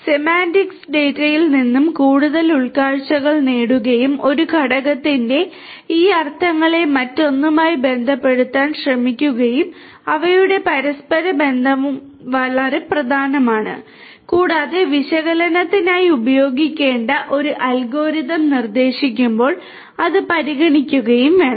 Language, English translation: Malayalam, Semantics and getting more insights meaning out of the data and trying to relate these meanings of one component with another and their interrelationships is also very important and should be taken into consideration while proposing an algorithm to be used for the analytics